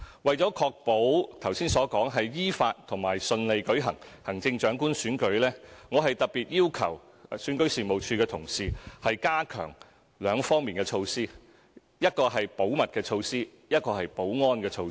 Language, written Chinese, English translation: Cantonese, 為確保行政長官選舉能夠依法和順利舉行，我特別要求選舉事務處的同事加強兩方面的措施，一個是保密的措施，另一個是保安的措施。, To ensure that the Chief Executive Election will be smoothly conducted in accordance with law we have especially requested the REO staff to step up measures in two respects namely confidentiality and security